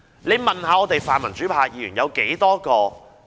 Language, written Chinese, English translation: Cantonese, 他大可問問泛民主派的議員。, He may ask Members from the pan - democracy camp about this